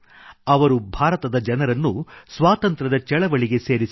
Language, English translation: Kannada, He integrated the Indian public with the Freedom Movement